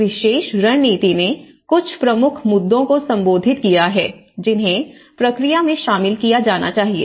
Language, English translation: Hindi, So, they have been some, this particular strategy have addressed some key issues, that has to be included in the process